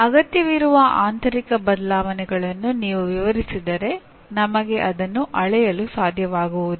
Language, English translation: Kannada, But if only if you describe the internal changes that are required we will not be able to measure